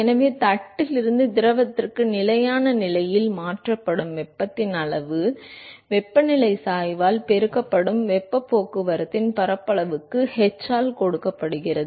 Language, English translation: Tamil, So, therefore, the amount of heat that is transferred from the plate to the fluid at steady state is given by h into whatever is the surface area of heat transport multiplied by the temperature gradient